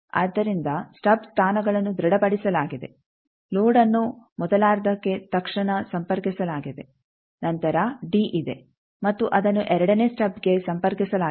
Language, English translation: Kannada, So, stub positions are fixed load immediately connected to the first half then there is d that also fixed connected to second stub